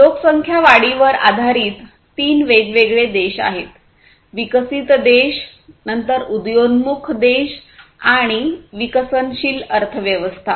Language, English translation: Marathi, There are three different types of countries based on the population growth, developed countries then emerging countries, emerging economies, basically, and developing economies